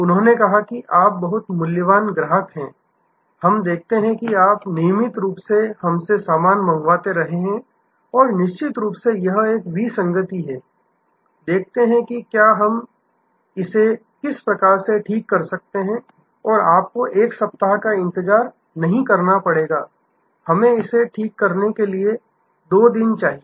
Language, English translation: Hindi, They said you are a very valuable customer, we see that you have been regularly ordering stuff from us and will definitely this is an anomaly, let us see if we can set it right and you do not have to wait for one week, please give us 2 days to set this right